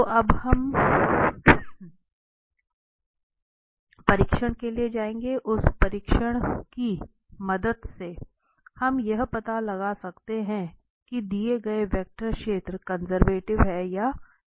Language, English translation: Hindi, So, now, we will go for the test with the help of that test we can find out whether the given vector field is conservative or not